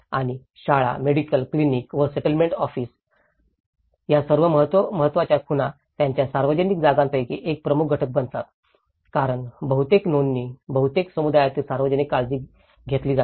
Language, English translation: Marathi, And all these important landmarks including the school, medical clinic and the settlement office becomes one of the major component of their public place as well because that is where most of the records, most of the association with the community is taken care of